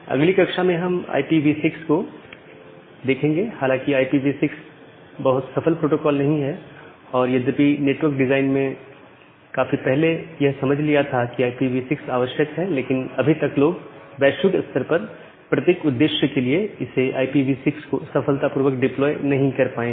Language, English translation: Hindi, Although IP version 6 is not a very successful protocol and although the network design understood long back that IPv6 is required, but till now people are not able to successfully deploy IPv6 globally for every purpose